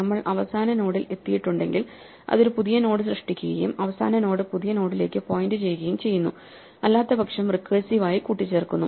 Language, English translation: Malayalam, if we have reached the last node it creates a new node and makes the last node point to the new node, otherwise it recursively appends